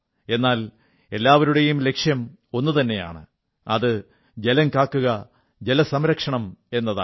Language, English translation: Malayalam, But the goal remains the same, and that is to save water and adopt water conservation